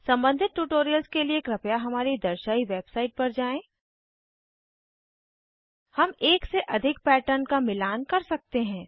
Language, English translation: Hindi, For relevant tutorials please visit our website which is as shown: http://spoken tutorial.org We can match more than one patterns as well